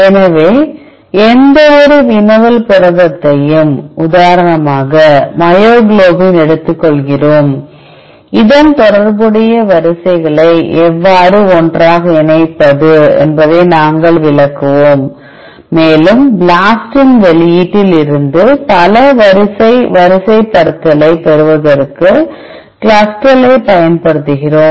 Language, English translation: Tamil, So, we take any query protein for example myoglobin, we will explain how to is BLAST together related sequences and from the output of BLAST we use the CLUSTAL to get the multiple sequence alignment